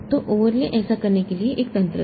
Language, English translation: Hindi, So, overlay was one mechanism for doing that